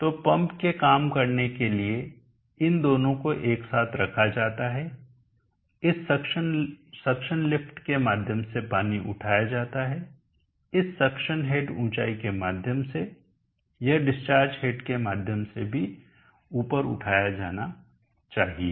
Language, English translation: Hindi, So for the pump for it do work it is both put together water as to lifted through this suction lift, through this suction head height, it should also get lifted up through the discharged head height